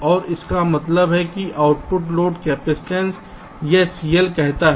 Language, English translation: Hindi, so we are assuming that the output capacitance is also c in